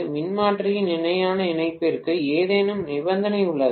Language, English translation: Tamil, Is there any condition for parallel connectivity of transformer